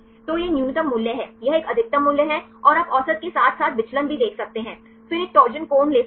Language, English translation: Hindi, So, this is the minimum value, this is a maximum value and you can see the average as well as the deviation then take a torsion angle